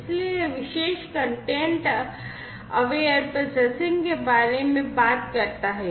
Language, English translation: Hindi, So, this particular work talks about content aware processing